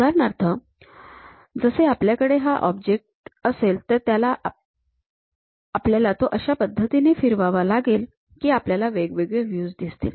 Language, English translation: Marathi, So, we have an object, we have to rotate in such a way that we will have different kind of views